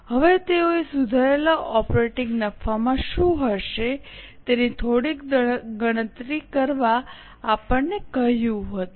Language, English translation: Gujarati, Now, they had asked us to compute a few things as to what will be the revised operating profit